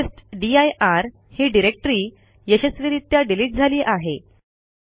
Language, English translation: Marathi, Now the testdir directory has been successfully deleted